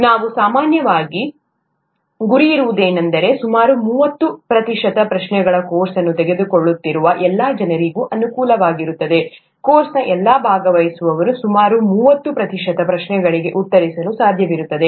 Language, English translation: Kannada, What we usually aim for is that about thirty percent of the questions are amenable to all people who are taking the course, all the participants of the course would be able to answer about thirty percent of the questions